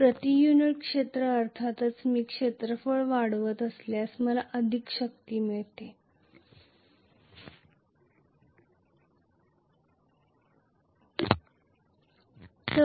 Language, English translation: Marathi, Per unit area of course if I increase the area I am going to get definitely more force